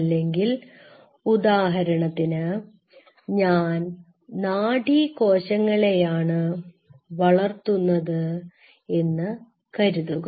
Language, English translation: Malayalam, Or say for example, I say I wanted to culture neurons great